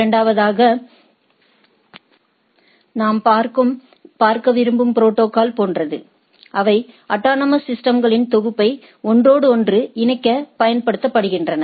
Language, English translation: Tamil, And secondly, what we like to have the others are like the protocols which are used to interconnect a set of autonomous systems